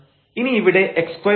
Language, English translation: Malayalam, So, what was x here